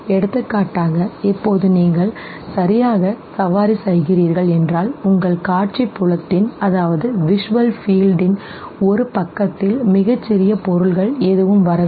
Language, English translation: Tamil, For example now if you are riding okay, and you see no a smallest object coming from one side of your visual field